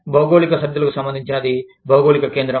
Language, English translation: Telugu, Geocentrism is related to, geographical boundaries